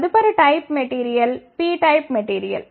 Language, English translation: Telugu, The next type of material is the p type of material